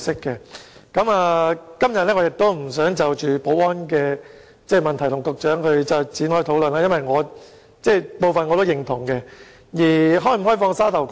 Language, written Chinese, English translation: Cantonese, 今天我不想就保安問題與局長討論，因為我也認同他的部分意見。, I do not wish to discuss the security issue with the Secretary today for I also share some of his views